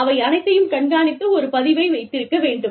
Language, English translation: Tamil, So, all of that has to be tracked, and kept a record of